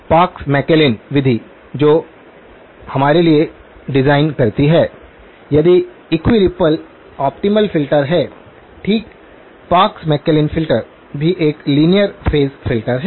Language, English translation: Hindi, Parks McClellan method which designs for us, if equi ripple optimal filter, okay, Parks McClellan filter is also a linear phase filter